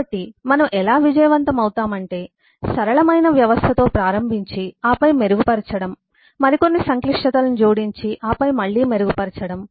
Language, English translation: Telugu, so what we what succeeds is starting with a simple system and then refine, add some more complexity and then refine again